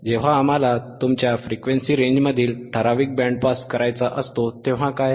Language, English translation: Marathi, wWhat about when we want to pass only a certain band in your frequency range, right